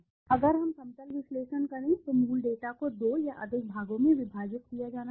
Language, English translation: Hindi, If we will aggregate the level analysis has been done, the original data should be split into 2 or more parts